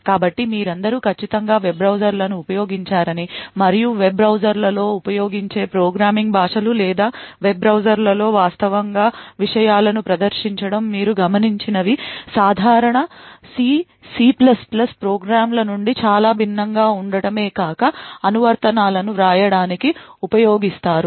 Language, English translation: Telugu, So all of you I am sure must have used a web browsers and what you would have noticed that programming languages used in web browsers or to actually display contents in web browsers are very much different from the regular C or C++ type of programs that are typically used to write applications